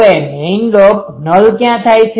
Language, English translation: Gujarati, Now, where is the main lobe null occurs